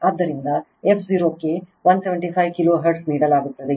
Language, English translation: Kannada, So, f 0 is given 175 kilo hertz